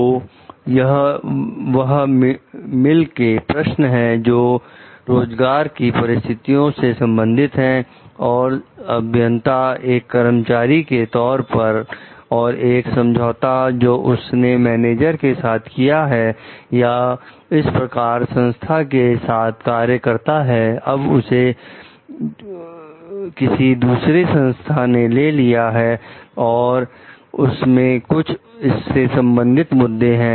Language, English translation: Hindi, So, these as we told are mainly questions related to employment conditions and at engineer as an employee and in agreement with the managers or with the working for this particular organization now which has been taken over by another organization and there are issues related to it